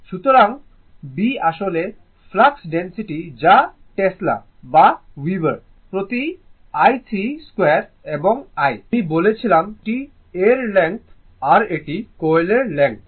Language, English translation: Bengali, So, B actually flux density that is in Tesla or Weber per metre square and l, I told you this is the length of the your l is the your, this is the length of the coil, right